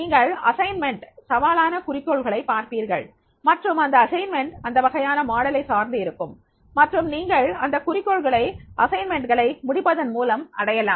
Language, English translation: Tamil, You will also have the challenging goals of the assignments and those assignments will be based on this type of the module and then you have to achieve those goals and solve those assignments